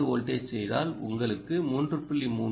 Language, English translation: Tamil, let's make it three volts